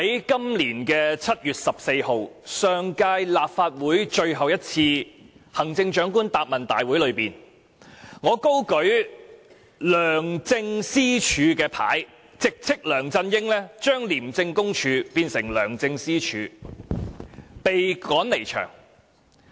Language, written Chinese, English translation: Cantonese, 今年7月14日，在上屆立法會最後一次行政長官答問會上，我高舉"梁政私署"標語，直斥梁振英把廉政公署變成"梁政私署"，因而被趕離場。, In the last Chief Executives Question and Answer Session held in the previous term of the Council on 14 July this year I held up a placard with the wording Private Commission of LEUNGs Governance and criticized LEUNG Chun - ying for turning the Independent Commission Against Corruption ICAC into a private institution to facilitate his governance and I was thus expelled from the Chamber